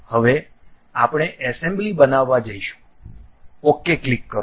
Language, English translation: Gujarati, Now, we are going to construct an assembly, click ok